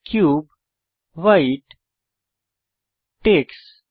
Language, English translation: Bengali, Cube to White to Tex